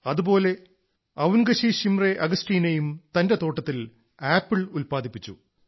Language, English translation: Malayalam, Similarly, Avungshee Shimre Augasteena too has grown apples in her orchard